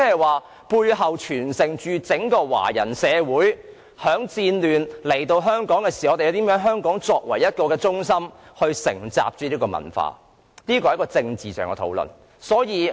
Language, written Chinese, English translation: Cantonese, 換言之，背後所盛載的，是因戰亂來到香港的華人如何將香港成為承襲他們文化的中心的歷史。, In other words it carried the history of Chinese people fleeing from wars to Hong Kong and seeking to turn Hong Kong into a place to inherit their culture